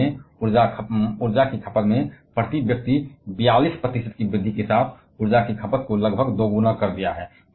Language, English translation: Hindi, India has seen the energy consumption becoming nearly double leading to a 42 percent increase in the per capita of energy consumption